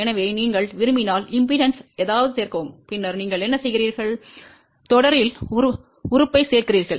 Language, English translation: Tamil, So, if you want to add something in the impedance, then what you do, you add the element in series